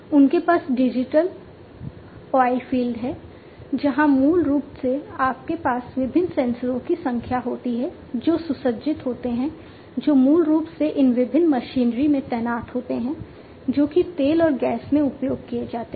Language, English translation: Hindi, They have the digital oilfield, where basically you have number of different sensors that are equipped that are deployed basically in these different machinery that are used in oil and gas